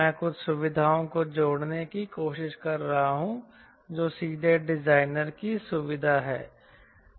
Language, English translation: Hindi, i am trying to add some features which are directly designers feature